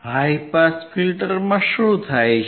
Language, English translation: Gujarati, What happens in high pass filter